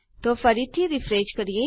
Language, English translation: Gujarati, So lets refresh that again